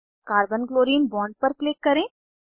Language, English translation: Hindi, Click on Carbon Chlorine bond